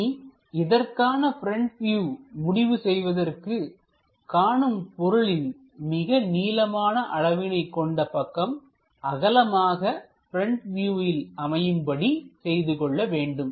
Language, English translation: Tamil, Now, we have to pick the front view to decide that longest dimension of an object should represented as width in front view